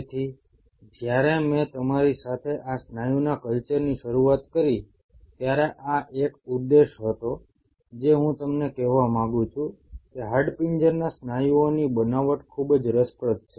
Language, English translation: Gujarati, So when I started this skeletal muscle with you, this was one of the objective I want to tell you that skeletal muscle growth is very interesting